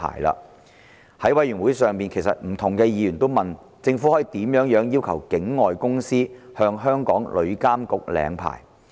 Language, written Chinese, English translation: Cantonese, 在法案委員會會議上，不同的議員也問到，政府可以怎樣要求境外公司向香港旅監局領牌？, At the meetings of the Bills Committee various Members also enquired how the Government could possibly require an overseas agent to apply for a licence from TIA of Hong Kong